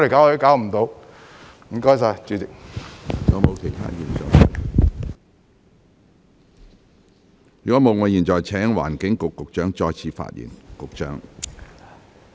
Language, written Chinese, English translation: Cantonese, 如果沒有，我現在請環境局局長再次發言。, If not I now call upon the Secretary for the Environment to speak again